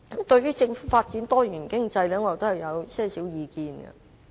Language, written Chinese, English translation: Cantonese, 對於政府發展多元經濟，我有以下意見。, On developing a diversified economy by the Government I have the following views